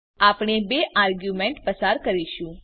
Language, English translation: Gujarati, we will pass two arguments